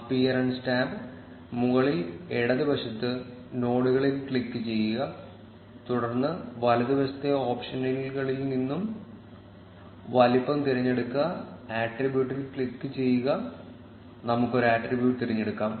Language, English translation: Malayalam, In the appearance tab, on the top left, click on nodes, then select the size from the right side options, click on attribute and let us choose an attribute